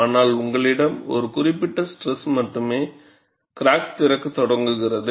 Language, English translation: Tamil, But you have, at a particular stress only, the crack starts opening